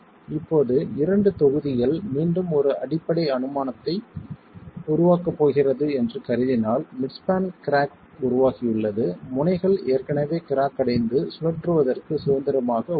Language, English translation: Tamil, Now assuming that the two blocks, again a fundamental assumption that we are going to make is midspan crack has formed, the ends are already cracked and free to rotate